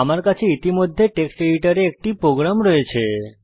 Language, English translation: Bengali, I already have a program in the Text editor